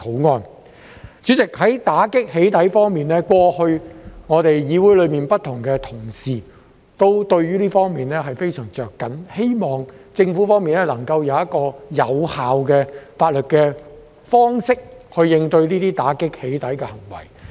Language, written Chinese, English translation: Cantonese, 代理主席，在打擊"起底"方面，過去，議會內不同同事都非常着緊，希望政府方面能夠以有效的法律方式，應對、打擊這些"起底"行為。, Deputy President different Members in this Council have long since been very eager to combat doxxing hoping that the Government can tackle and combat doxxing acts through legal means effectively